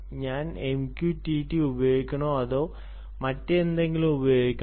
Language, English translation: Malayalam, should i use m q t t or should i use something else